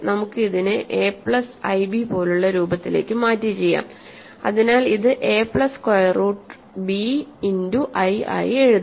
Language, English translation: Malayalam, Let us convert it into a form like a plus i b, so this can be written as a plus square root b times i, right